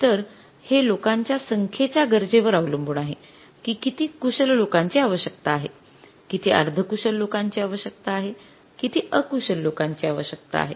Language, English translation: Marathi, It depends upon the requirement of the number of the people that how many skilled people are required, how many semi skilled people are required and how many unskilled people are required